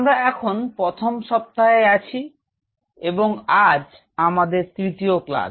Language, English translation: Bengali, So, we are into Week 1 and today is our class 3